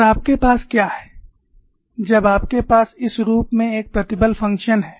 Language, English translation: Hindi, And what you have when you have a stress function in this form